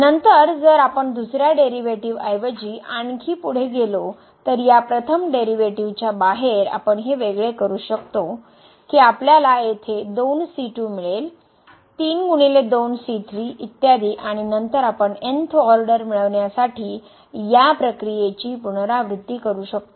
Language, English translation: Marathi, Then if we move further, than the second derivative, so out of this first derivative we can again differentiate this you will get here 3 times 2 into and so on and then we can repeat this process further to get the th order derivatives